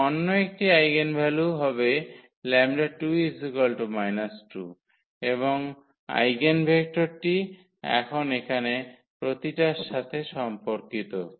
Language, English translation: Bengali, And, the another eigenvalue will be lambda 2 which is minus 2 and the eigenvector now corresponding to each here